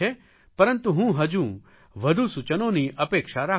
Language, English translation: Gujarati, But I am expecting more suggestions